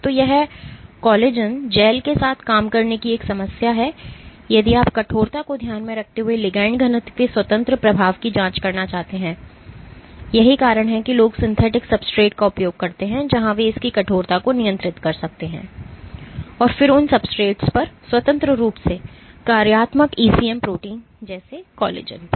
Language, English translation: Hindi, So, this is one problem of working with collagen gels if you want to probe the independent effect of ligand density keeping stiffness constant that is why people tend to use synthetic substrates where they can control its stiffness and then independently functionalized ECM proteins like collagen onto those substrates